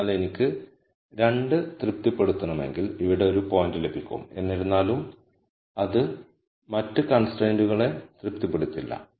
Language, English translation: Malayalam, So, if I want to satisfy 2, I will get a point here nonetheless it would not satisfy the other constraint and so, on